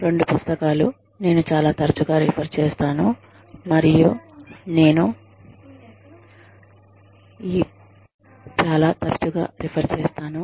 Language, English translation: Telugu, Two books, that i have been referring to, very often